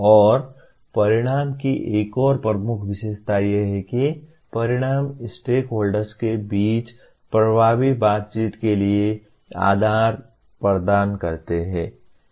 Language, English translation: Hindi, And the another major feature of outcome is outcomes provide the basis for an effective interaction among stakeholders